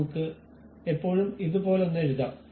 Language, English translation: Malayalam, We can always write something like